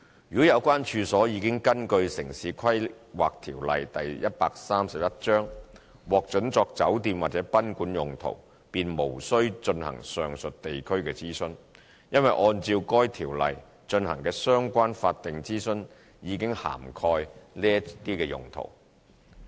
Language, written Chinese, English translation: Cantonese, 如果有關處所已根據《城市規劃條例》獲准作酒店或賓館用途，便無需進行上述地區諮詢，因為按照該條例進行的相關法定諮詢已涵蓋這些用途。, However this local consultation requirement will not apply if the use of the premises concerned as a hotel or guesthouse is permitted under the Town Planning Ordinance Cap . 131 as such use has already been covered by the relevant statutory consultation under Cap . 131